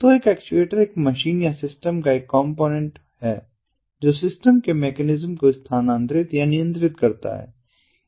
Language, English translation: Hindi, so an actuator, he is a component of a machine or a system that moves or controls the mechanism of the system